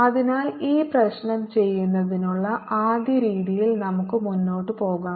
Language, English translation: Malayalam, so let us proceed in this first way of doing this problem